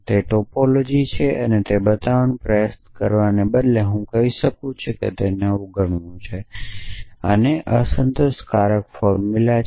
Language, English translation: Gujarati, Instead of trying to show that it is a topology I can say that take it is negation and that there is a unsatisfiable formula